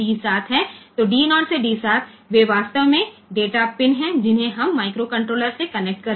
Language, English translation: Hindi, So, they are actually D 0 to D 7 they are data pins that we can connect to the microcontroller